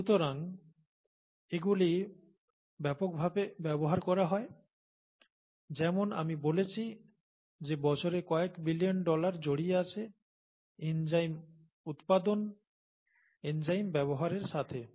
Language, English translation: Bengali, So, heavily used as I said billions of dollars worth per year is what what is involved, the amount of money involved in enzyme use; enzyme manufacture, enzyme use